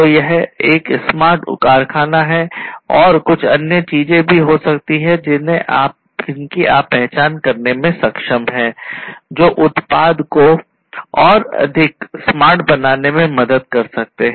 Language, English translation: Hindi, So, this is a smart factory and there are there could be few other things that you might be also able to identify, which can help in making the product smarter